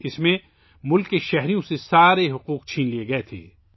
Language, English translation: Urdu, In that, all the rights were taken away from the citizens of the country